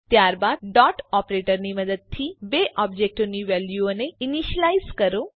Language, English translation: Gujarati, Then initialize the values of the two objects using dot operator